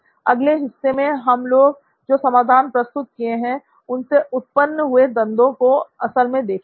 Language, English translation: Hindi, So in the next segment we will actually be looking at conflicts arising because of solutions that you have introduced